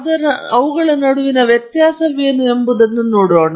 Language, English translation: Kannada, So, we just see what is the difference between them